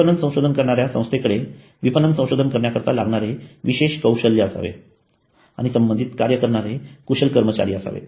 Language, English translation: Marathi, Marketing research firm should have specialization in marketing research and have skilled personnel